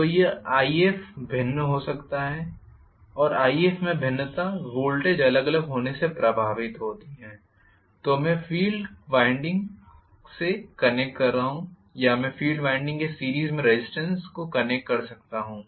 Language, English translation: Hindi, So, this IF can be varied and the variation in IF can be affected either by varying the voltage, what I am connecting to the field winding or I can connect the resistance in series with the field winding